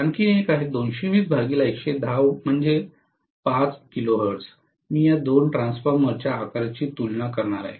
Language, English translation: Marathi, Another one is 220 by 110 say 5 kilohertz, I am going to compare the sizes of these two transformers